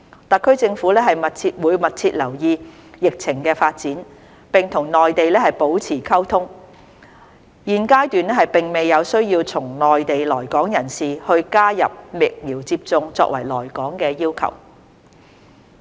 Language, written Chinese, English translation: Cantonese, 特區政府會密切留意疫情發展，並與內地保持溝通，現階段並未有需要對從內地來港人士加入疫苗接種作為來港要求。, The Hong Kong SAR Government will closely monitor the epidemic development and maintain communication with the Mainland . There is no need at this juncture to introduce vaccination as a requirement for people entering Hong Kong from the Mainland